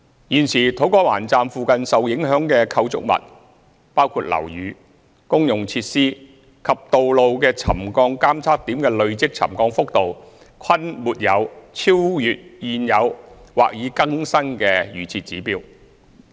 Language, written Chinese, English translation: Cantonese, 現時土瓜灣站附近受影響的構築物，包括樓宇、公用設施及道路的沉降監測點的累積沉降幅度，均沒有超越現有或已更新的預設指標。, At present the accumulated settlement readings of settlement monitoring points located at the affected structures including buildings utilities and roads near To Kwa Wan Station do not exceed the existing or revised pre - set trigger level